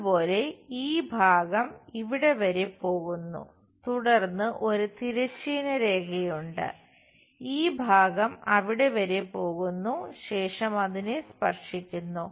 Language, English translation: Malayalam, Similarly, this part goes all the way there, then there is a horizontal line; this part goes all the way there, and touch that